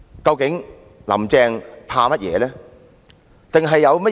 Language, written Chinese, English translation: Cantonese, 究竟"林鄭"在害怕甚麼？, What does Carrie LAM actually fear?